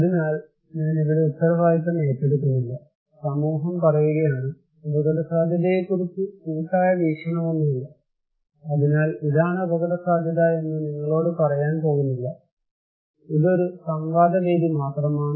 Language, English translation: Malayalam, So, I am not taking the responsibility here; society is telling, no collective view about risk, so it is not about to tell you that this is what is risk, a forum of debate, this is just only a forum of debate